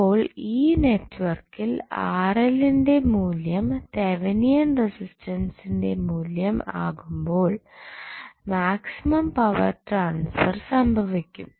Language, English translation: Malayalam, So, in this particular network, when the value of Rl is equal to Thevenin resistance, maximum power transfer happens